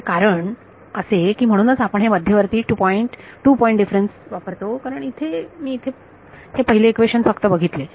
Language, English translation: Marathi, So, that is in that is the reason why you use this centered two point difference because if I just look at the first equation over here